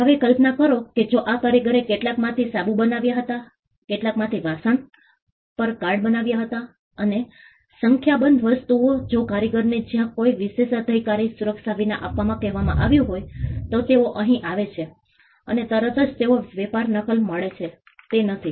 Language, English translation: Gujarati, Now imagine if these craftsman some of them made soap some of them made glassware some of them on perfumes playing cards n number of things, if the craftsman where asked to come without the protection of an exclusive privilege then they come in here and immediately they are trade gets copy is not it